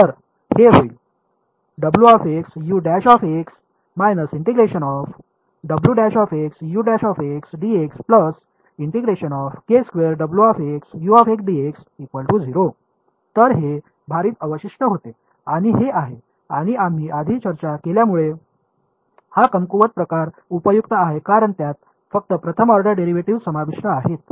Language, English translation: Marathi, So, this was weighted residual and this is and as we discussed earlier this weak form is useful because it involves only first order derivatives